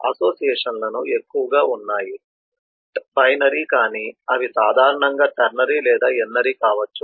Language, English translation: Telugu, associations mostly are binary, but they could be ternary or N ary in general